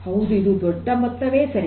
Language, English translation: Kannada, That is a huge amount